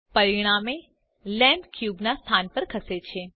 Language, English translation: Gujarati, As a result, the lamp moves to the location of the cube